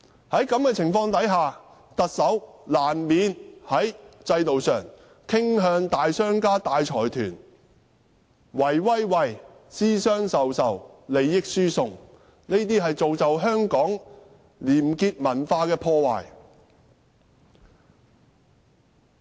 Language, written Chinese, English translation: Cantonese, 在這種情況下，特首難免在制度上傾向大商家和大財團，私相授受，利益輸送，破壞香港的廉潔文化。, Given this backdrop the Chief Executive inevitably would tilt his system towards large business tycoons and consortia make secret dealings and transfer benefits to them . This has undermined the honesty culture of Hong Kong